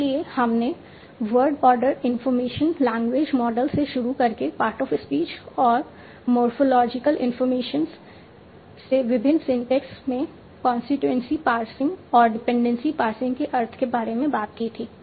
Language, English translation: Hindi, So we had talked about starting from world order information language models to part of speech and morphological information to various syntax in the sense of constituency passing and dependency passing